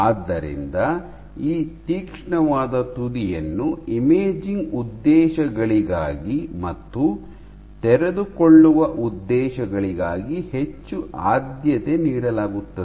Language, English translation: Kannada, So, this sharp tip is much preferred for imaging purposes